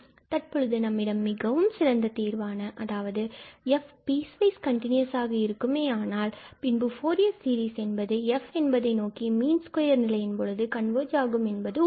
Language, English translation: Tamil, So, now, we have this nice result that if f be a piecewise continuous function, then the Fourier series of f converges to f in the mean square sense